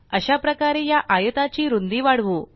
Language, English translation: Marathi, In a similar manner lets increase the width of this rectangle